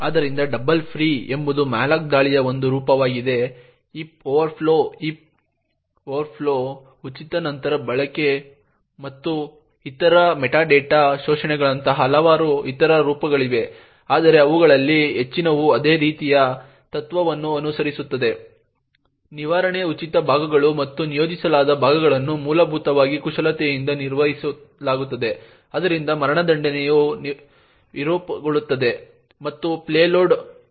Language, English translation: Kannada, So the double free is just one form of attack for malloc there are various other forms like heap overflows, heap sprays, use after free and other metadata exploits, so but most of them follow the same kind of principle there the management of the free chunks and the allocated chunks are essentially manipulated so that the execution gets subverted and the payload executes